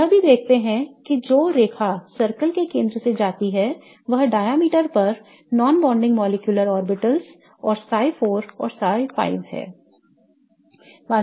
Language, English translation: Hindi, We also see that the line that goes through the center of the circle that is the diameter is the non bonding molecular orbitals and psi 4 and psi 5 lie on that diameter